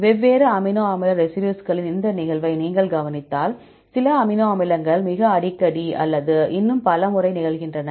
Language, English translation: Tamil, If you look into this occurrence of different amino acid residues, some amino acids occur very frequently or many more times